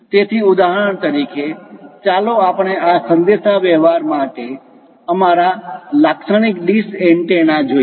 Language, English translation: Gujarati, So, for example, here let us look at our typical dish antenna for this communication